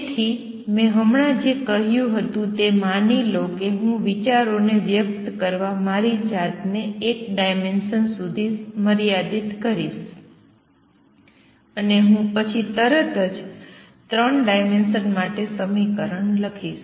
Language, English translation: Gujarati, So, what I just now said is suppose I have and I am going to restrict myself to one dimension to convey the ideas and that I will immediately write the equation for 3 dimensions also as we go along